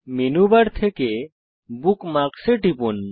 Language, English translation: Bengali, From the Menu bar, click on Bookmarks